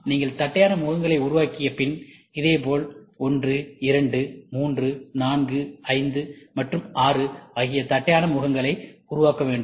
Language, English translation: Tamil, And after you make flat faces, and making flat faces also you have to do it on the all 1, 2, 3, 4, 5, and 6